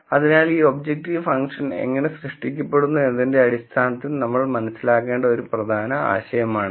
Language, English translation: Malayalam, So, this is an important idea that we have to understand in terms of how this objective function is generated